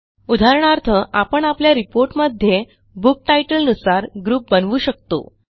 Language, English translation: Marathi, For example, in our report, we can group the data by Book titles